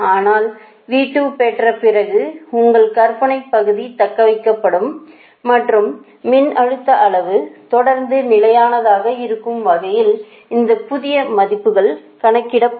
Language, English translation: Tamil, but after getting v two, the imaginary part will be your, what your call imaginary part will be retained and new values of this one will be computed right, such that voltage magnitude will be, will be constant